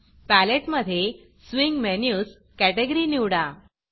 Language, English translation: Marathi, In the Palette, open the Swing Menus category